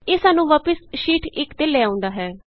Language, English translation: Punjabi, This takes us back to Sheet 1